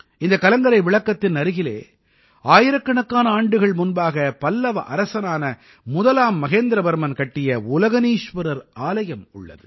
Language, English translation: Tamil, He says that beside this light house there is the 'Ulkaneshwar' temple built hundreds of years ago by Pallava king MahendraVerman First